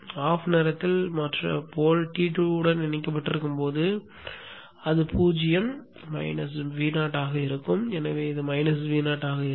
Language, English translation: Tamil, During the time when the pole is connected to T2 it will be 0 minus V 0 so it will be minus V 0 here